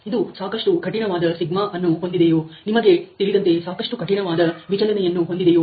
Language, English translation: Kannada, Can it have a sigma which is tight enough, you know can it have deviation which is tight enough